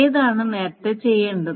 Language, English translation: Malayalam, Which one should be done earlier